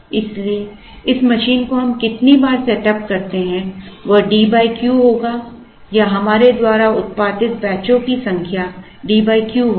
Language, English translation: Hindi, Therefore, the number of times we setup this machine will be D by Q or the number of batches we produce would be D by Q